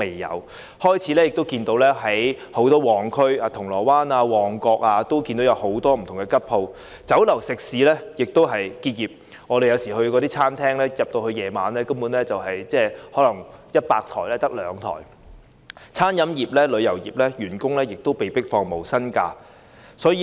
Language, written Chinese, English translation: Cantonese, 我們開始在許多旺區，例如銅鑼灣和旺角，看到很多"吉鋪"，酒樓食肆結業，我們有時在晚上到餐廳用膳，可能發現100桌中只有2桌客人，餐飲業和旅遊業的員工亦被迫放取無薪假期。, A vast number of vacant shop premises in many busy districts such as Causeway Bay and Mong Kok have emerged . Restaurants have closed down and sometimes when we dine at a restaurant in the evening we might find that only two tables are occupied by customers in the 100 - table restaurant . Employees in the catering and tourism industry are also forced to take no - pay leave